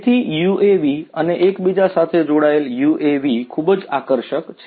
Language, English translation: Gujarati, So, UAVs and the connected UAVs are very attractive